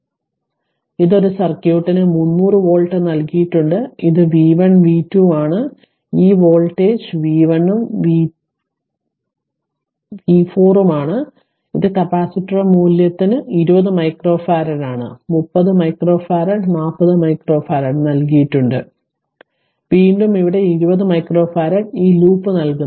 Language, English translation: Malayalam, So, this is a circuit is given 300 volt this is v 1 v 2 this voltage is v 3 and v 4 all the capacitor value are given 20 micro farad, 30 micro farad, 40 micro farad and again here it is 20 micro farad right these loop